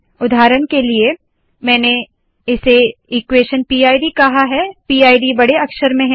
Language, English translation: Hindi, For example, here I have called it equation PID, PID is in capitals